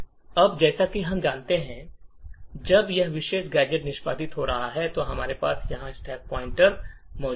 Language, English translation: Hindi, Now as we know when this particular gadget is executing, we have the stack pointer present here